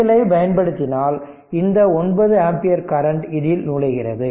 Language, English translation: Tamil, If you apply KCL so, this 9 ampere current is entering into this